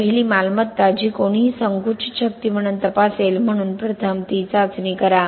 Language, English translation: Marathi, The first property which anybody would check it as compressive strength, so do that test first